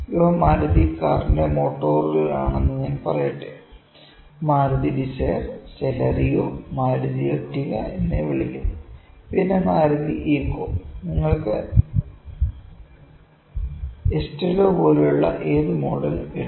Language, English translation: Malayalam, Let me say this is these are motors of Maruti car, Maruti dzire, this is Celerio, this is you call it a Maruti Ertiga, then Maruti Eeco you can put any model like those this is Estilo